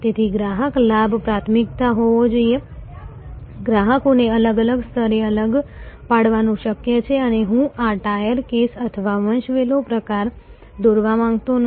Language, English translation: Gujarati, So, customer benefit must be the priority of course, it is possible to segregate the customers at different levels and I would not like to draw this tier case or hierarchy type